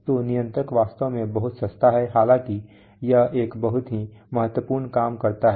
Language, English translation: Hindi, So the controller is actually very cheap although it does a very critical job